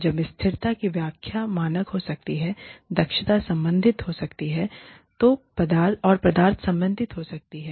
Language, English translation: Hindi, Now, the interpretations of sustainability, can be normative, can be efficiency related, and can be substance related